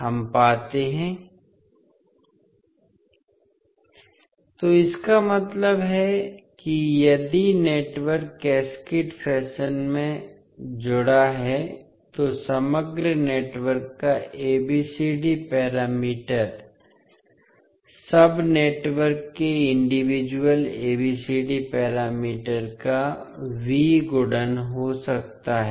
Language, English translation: Hindi, So, that means that if the network is connected in cascaded fashion, the ABCD parameter of overall network can be V multiplication of individual ABCD parameters of the sub networks